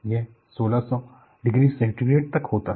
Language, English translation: Hindi, It is about order of 1600 degrees Centigrade